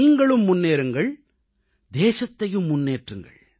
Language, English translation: Tamil, You should move forward and thus should the country move ahead